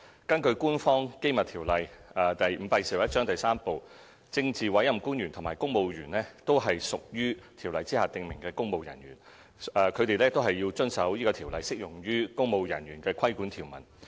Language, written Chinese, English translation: Cantonese, 根據《官方機密條例》第 III 部，政治委任官員及公務員均屬條例下訂明的"公務人員"，因此他們均須遵守該條例適用於"公務人員"的規管條文。, Under Part III of the Official Secrets Ordinance Cap . 521 politically appointed officials PAOs and civil servants both fall within the definition of public servants and must therefore abide by the provisions therein applicable to public servants